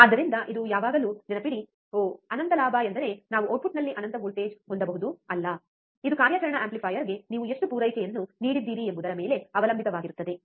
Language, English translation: Kannada, So, this always remember do not get confuse that oh infinite gain means that we can have infinite voltage at the output, no, it depends on how much supply you have given to the operational amplifier, alright